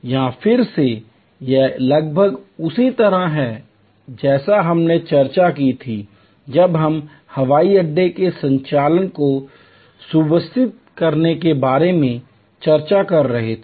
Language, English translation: Hindi, Here again, it is almost similar to what we discussed when we were discussing about streamlining airport operation